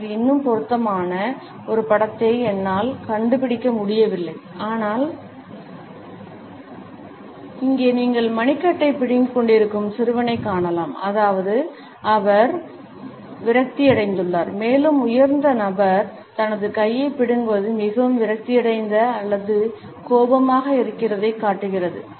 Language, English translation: Tamil, I could not find a more suitable picture for that, but here you can see the boy who is gripping his wrist and that means that he is frustrated and the higher the person grips his arm the more frustrated or angst